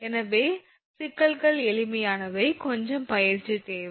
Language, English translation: Tamil, So, problems are simple actually just little bit practice is necessary